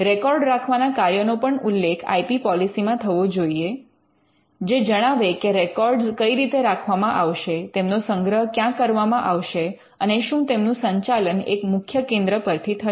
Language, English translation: Gujarati, Record keeping is a function which has to be enumerated in the IP policy how the records will be kept and where they will be stored, whether it will be centrally managed